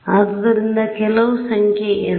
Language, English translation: Kannada, So, some number n right